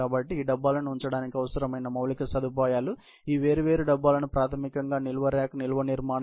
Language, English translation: Telugu, So, the infrastructure which is needed to house these bins, these different bins is basically, the storage rack, storage structure